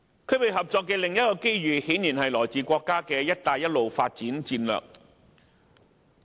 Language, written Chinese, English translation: Cantonese, 區域合作的另一個機遇，顯然是來自國家的"一帶一路"發展策略。, Another opportunity for regional cooperation is no doubt the Belt and Road development strategy of the country